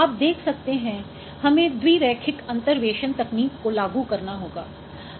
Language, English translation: Hindi, So you can see you have to apply the bilinear interpolation techniques